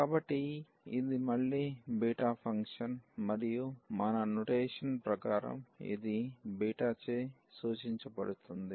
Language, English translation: Telugu, So, this is the again the beta function and which as per our notation this will be denoted by beta